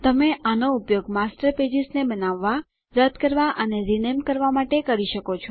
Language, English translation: Gujarati, You can use this to create, delete and rename Master Pages